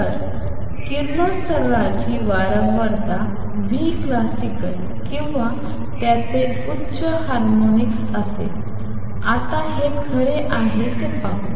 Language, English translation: Marathi, So, the radiation will have frequency nu classical or its higher harmonics; let us now see that this is true